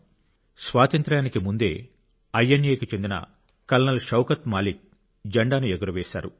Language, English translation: Telugu, Here, even before Independence, Col Shaukat Malik ji of INA had unfurled the Flag